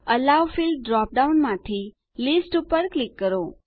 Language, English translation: Gujarati, From the Allow field drop down, click List